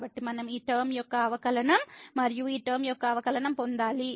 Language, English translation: Telugu, So, we have to get the derivative of this term and the derivative of this term